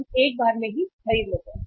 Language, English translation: Hindi, We buy once in a while